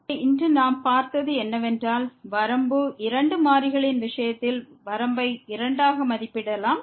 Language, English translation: Tamil, So, what we have seen today that the limit, we can evaluate the limit in two in case of two variables